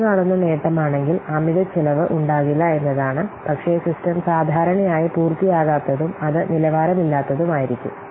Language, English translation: Malayalam, So if you underestimate, the advantage is that there will be no overspend, but the disadvantage that the system will be usually unfinished and it will be substandard